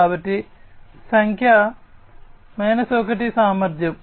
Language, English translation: Telugu, So, number 1 is efficiency